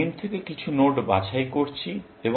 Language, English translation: Bengali, We are picking some node from m